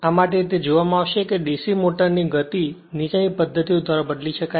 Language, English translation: Gujarati, For this it would be seen that the speed of a DC motor can be changed by the following methods